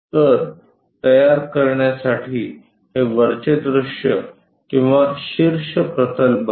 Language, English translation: Marathi, So, for constructing this becomes top view or top plane